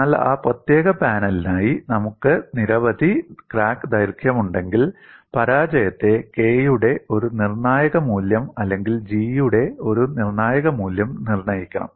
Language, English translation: Malayalam, That is a separate aspect, but for that particular panel, if I have several crack lengths, the failure also should be dictated by one critical value of K or one critical value of G